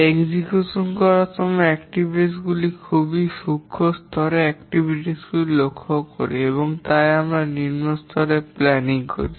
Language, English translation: Bengali, We notice very finer level activities and therefore we do a lower level planning